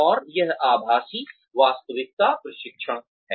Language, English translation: Hindi, And, that is virtual reality training